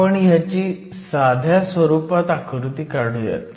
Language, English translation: Marathi, So, we can draw a simplified picture of this